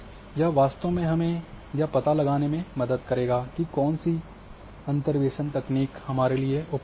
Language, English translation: Hindi, So, this this will really help us to find out which interpretation technique is suitable for us